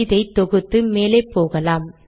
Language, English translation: Tamil, So lets compile this